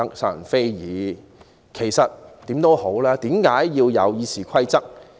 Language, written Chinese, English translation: Cantonese, 無論如何，其實為何要有《議事規則》？, However why should there be the Rules of Procedure?